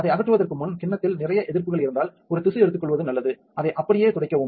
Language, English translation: Tamil, If there is a lot of resists in the bowl set before removing that one its a good idea to take a tissue, wipe it off just like this just